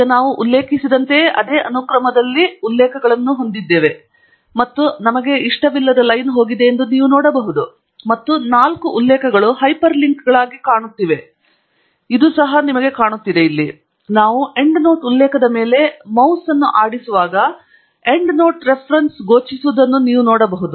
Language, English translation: Kannada, Now, you can see that we have got the references lined up in the same sequence as we have referred, and the line is gone, and we have seen that the four references are also appearing as hyperlinks; you can see the Endnote Reference appearing whenever we hover the mouse over the Endnote Reference